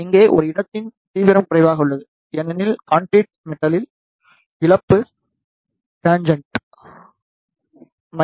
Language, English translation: Tamil, Here, the intensity of a spot is less, because of the loss tangent of the concrete metal